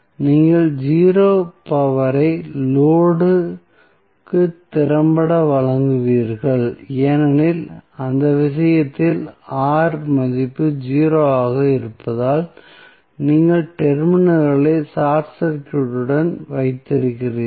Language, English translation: Tamil, So, in that case what will happen, you will effectively deliver 0 power to the load because in that case the R value is 0 because you have short circuited the terminals